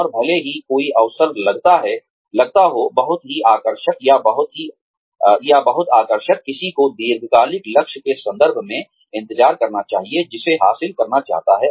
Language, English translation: Hindi, And, even if an opportunity seems, very lucrative or very appealing, one should wait, in terms of the long term goal, that one wants to achieve